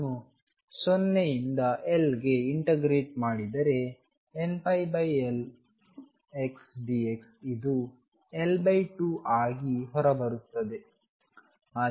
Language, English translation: Kannada, If I integrate from 0 to L sin square n pi over L x d x this comes out to be L by 2